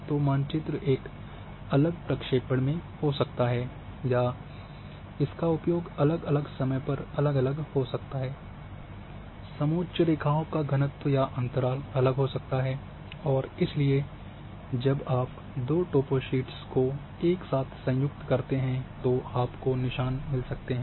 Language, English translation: Hindi, So, the maps might be having a different projection or might be serve at different times, maybe having different density of a contours or intervals of contours and therefore when you joint two toposheets together you might get that seems